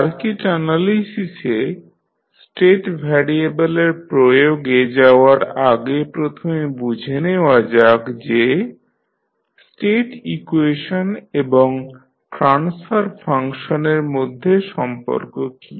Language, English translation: Bengali, Before going into the application of state variable in circuit analysis, first let us understand what is the relationship between state equations and the transfer functions